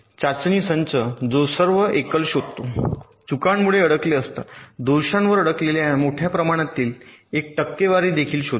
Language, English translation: Marathi, a test set that detects all single stuck at faults will also detect a large percentage of multiple stuck at faults